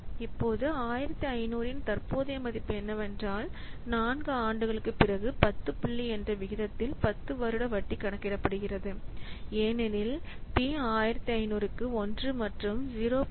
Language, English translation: Tamil, So now we can see what will the present value of the 1500, what, uh, what, uh, rupees that will get after four years, uh, at the rate of 10% interest is calculated as p is equal to 1500 by 1 plus 0